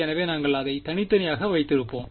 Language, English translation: Tamil, So, we will just keep it separate